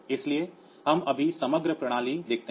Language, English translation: Hindi, So, we just see the overall system